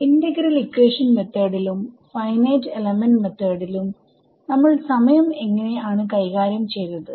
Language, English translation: Malayalam, In integral equation methods and finite element methods what was how did we deal with time